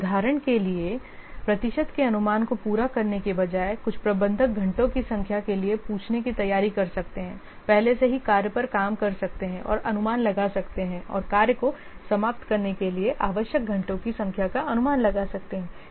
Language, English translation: Hindi, For example, rather than asking for the estimates of the percentage complete, some managers may prefer to ask for the number of hours already worked on the tax and estimate and an estimate of the number of hours needed to finish the tax off